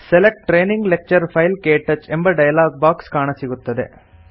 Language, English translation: Kannada, The Select Training Lecture File – KTouch dialog box appears